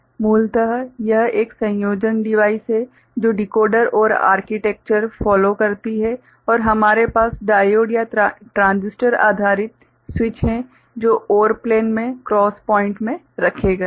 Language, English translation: Hindi, Essentially it is a combinatorial device following Decoder OR architecture and we have diode or transistor based switches placed in the cross points in the OR plane